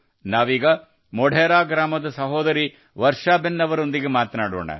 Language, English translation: Kannada, Let us now also talk to Varsha Behen in Modhera village